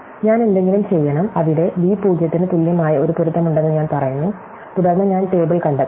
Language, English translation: Malayalam, So, I should do something, where I say that there is one match a 0 equal to b 0, and then I must find the list